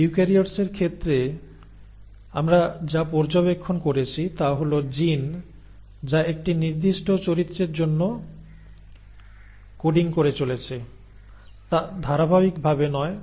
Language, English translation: Bengali, In case of eukaryotes what we observed is that the gene which is coding for a particular character, is not in continuity